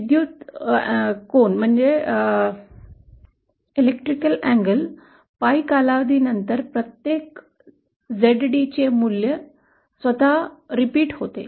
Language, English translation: Marathi, In terms of electrical angle, every after a period Pie, this value of ZD will repeat itself